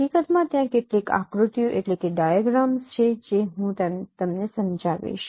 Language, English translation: Gujarati, In fact there are some diagrams I will be explaining them